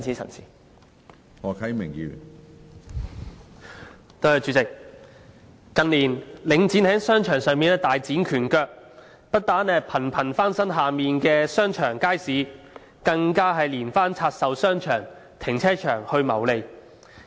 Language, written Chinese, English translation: Cantonese, 主席，近年領展房地產投資信託基金在商場上大展拳腳，不但頻頻翻新旗下商場、街市，更連番透過拆售商場、停車場來謀利。, President Link Real Estate Investment Trust Link REIT has been spreading its wings in the commercial world in recent years . It has not only frequently renovated its shopping arcades and markets but also repeatedly divested its shopping arcades and parking spaces to make profits